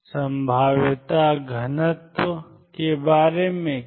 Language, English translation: Hindi, What about the probability density